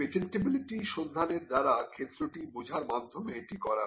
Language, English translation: Bengali, This is done by understanding the field through the patentability search